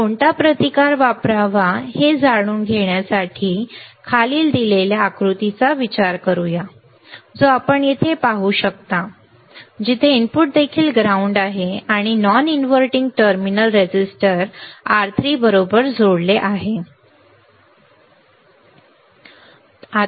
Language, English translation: Marathi, So, see what resistance should be used right to know what resistance to use let us consider a figure below, which you can see here right where the input is also grounded and non inverting terminal is connected with the resistor R3 right